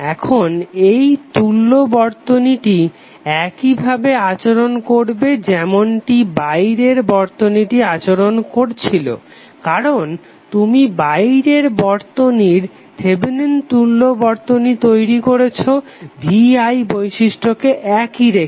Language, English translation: Bengali, Now this equivalent network will behave as same way as the external circuit is behaving, because you are creating the Thevenin equivalent of the external circuit by keeping vi characteristic equivalent